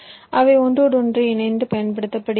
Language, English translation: Tamil, they are used for interconnection